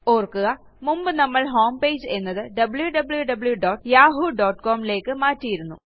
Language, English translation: Malayalam, Remember we changed the home page to www.yahoo.com earlier on